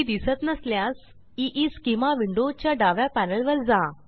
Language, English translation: Marathi, If you do not see it, go to the left panel of EESchema window